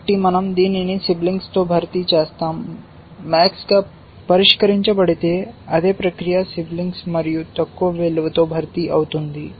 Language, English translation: Telugu, So, we replace this with the sibling, the same process if max is solved replace with sibling and lower value